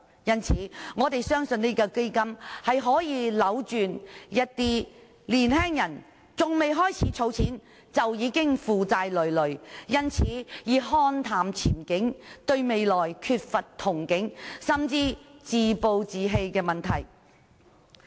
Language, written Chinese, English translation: Cantonese, 所以，我們相信這項基金可以扭轉一些年青人還未開始儲錢，已經負債累累，因而看淡前景，對未來缺乏憧憬，甚至自暴自棄的問題。, Hence we believe the baby fund can reverse the problematic situation whereby some young people are already debt - ridden before they start saving money and hence they have a gloomy outlook and do not hold expectations for the future . What is more some of them may even have the problem of self - rejection